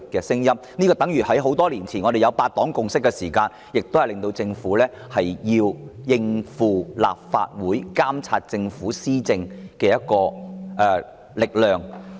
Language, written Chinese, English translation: Cantonese, 正如多年前的8黨共識亦迫使政府應對立法會監察政府施政的力量。, The eight - party consensus many years ago similarly forced the Government to face up to the Legislative Councils power of monitoring its administration